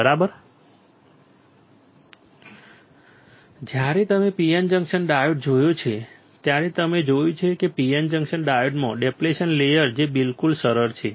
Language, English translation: Gujarati, When you have seen P N junction diode you see that there is a depletion layer in the P N junction diode all right easy